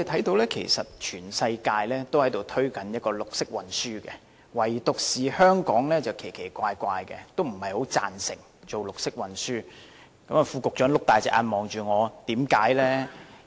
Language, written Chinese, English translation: Cantonese, 事實上，全世界也在推動綠色運輸，唯獨香港很奇怪，不太贊成綠色運輸——副局長睜大眼睛看着我——為甚麼？, As a matter of fact the whole world except Hong Kong is promoting green transport . It is strange that Hong Kong is not too much in favour of green transport―the Under Secretary is looking at me with eyes wide open―why?